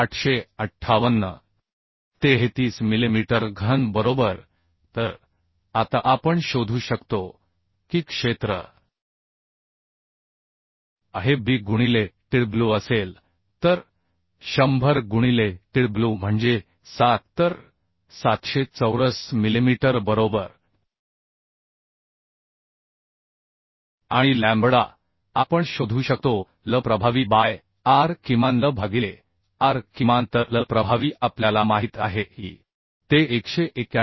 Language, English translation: Marathi, 33 millimetre cube right So now we can find out the area area will be b into tw so 100 into tw is 7 so 700 millimetre square right And lambda we can find out l effective by r minimum l by r minimum so l effective we know that is 191